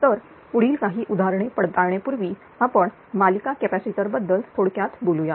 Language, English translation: Marathi, So just before taking few examples let us summarize about per series capacitors right